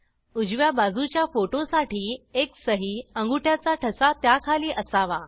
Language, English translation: Marathi, For the right side photo, the signature/thumb impression should be below it